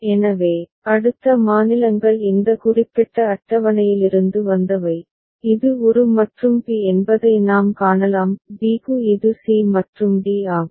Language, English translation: Tamil, So, next states are from this particular table, we can see for a it is a and b; for b it is c and d